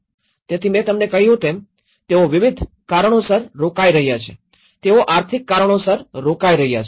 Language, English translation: Gujarati, So, they are staying for various reasons as I said to you, they are staying for the economic reasons, okay